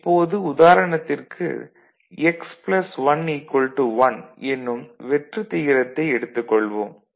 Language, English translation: Tamil, So, for example, let us take this null x plus 1 is equal to 1, ok